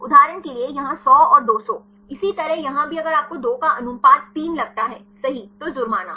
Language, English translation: Hindi, For example, here 100 and 200, likewise here also if you see the ratio of 2 is 3 right, a fine